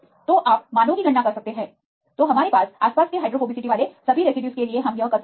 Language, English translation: Hindi, So, you can calculate the values then this case for all the residues we have the surrounding hydrophobicity